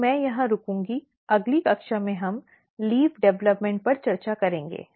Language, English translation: Hindi, So, I will stop here in next class we will discuss leaf development